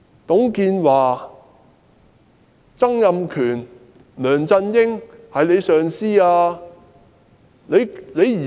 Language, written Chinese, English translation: Cantonese, 董建華、曾蔭權、梁振英曾是她的上司。, TUNG Chee - hwa Donald TSANG and LEUNG Chun - ying are her previous superiors